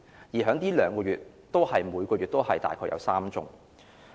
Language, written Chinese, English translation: Cantonese, 而在這2個月，每個月亦大概有3宗。, There were three such cases in each of the past two months